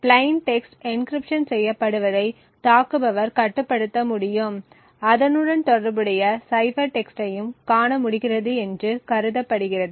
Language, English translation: Tamil, It is also assumed that the attacker is able to control what plain text gets encrypted and is also able to view the corresponding cipher text